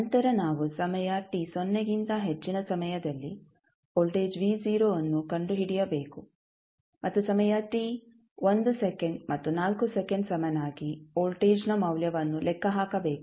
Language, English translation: Kannada, We have to find the voltage v naught at time t greater than 0 and calculate the value of time voltage at time t is equal to 1 second and 4 second